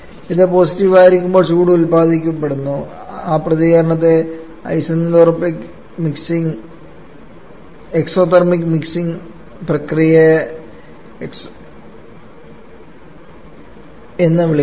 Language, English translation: Malayalam, When it is positive then heat is being produced we call that reaction to be exothermic or that mixing process are called to be exothermic